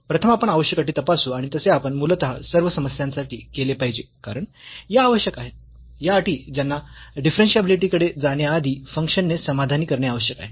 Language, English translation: Marathi, First we check the necessary conditions and we should do basically in all the problems because, these are the necessary these are the conditions which the function must satisfy before going to the differentiability